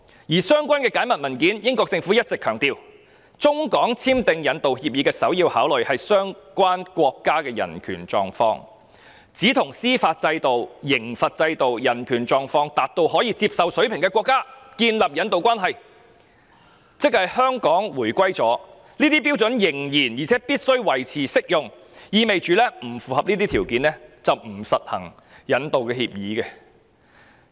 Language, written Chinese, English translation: Cantonese, 在相關的解密文件中，英國政府一直強調，中港簽訂引渡協議的首要考慮是相關國家的人權狀況，並只能與司法制度、刑罰制度、人權狀況達到可接受水平的國家建立引渡關係，而且即使香港已回歸，這些標準仍然且必須維持適用，意味若不符合這些條件，不可實行引渡協議。, As reflected by the declassified records concerned the British Government had all along emphasized that in concluding a rendition agreement between China and Hong Kong the human rights conditions in the country concerned would be their foremost consideration and rendition arrangements should only be established with countries where the prevailing judicial system penal system and human rights conditions were up to acceptable standards . Such criteria would and should still be applicable even after the reunification of Hong Kong meaning that no extradition agreement should be concluded with countries which could not meet such requirements